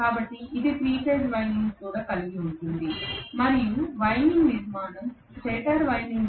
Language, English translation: Telugu, So it is also going to have 3 phase winding that is the winding structure is similar to the stator winding structure